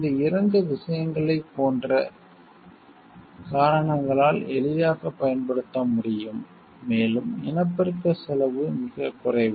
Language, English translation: Tamil, Because of these 2 things like it can be easily appropriated, and cost of reproduction is negligible